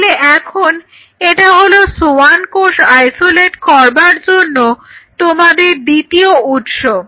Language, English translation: Bengali, So, now, that is your second source to isolate the Schwann cells